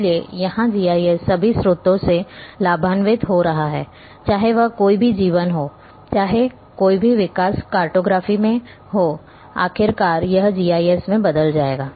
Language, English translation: Hindi, So, here GIS is getting benefited from all sources, whether it is a cartography any development takes place in cartography ultimately it will perculate into a GIS